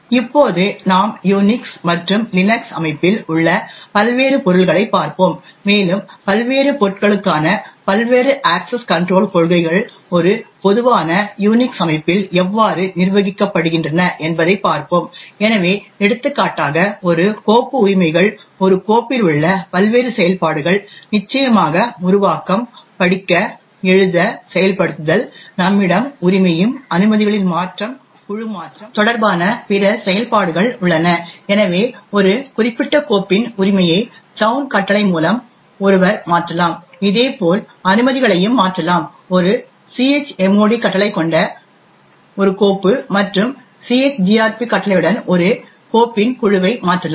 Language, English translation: Tamil, Now we will look at the various objects in the Unix and Linux system and we will see about how the various access control policies for the various objects are managed in a typical Unix system, so for example a file rights, the various operations on a file are of course the creation, read, write, execute, we also have other operations which relate to ownership, change of permissions and change group, so one could change the ownership of a particular file by the chown command, we can similarly change the permissions for a file with a chmod command and change group of a file with chgrp command